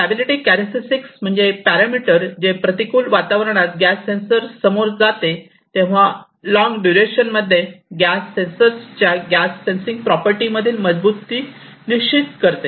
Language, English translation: Marathi, Stability characteristic is basically the parameter, which determines the robustness in the gas sensing property of a gas sensor in a long duration of time, when it is exposed to hostile ambience